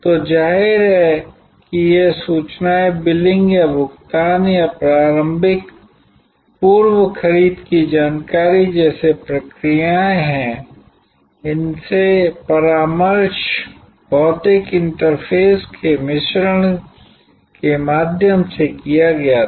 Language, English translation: Hindi, So, obviously these information processes like billing or payment or initial pre purchase information, consultation these were done through a mix of physical interfaces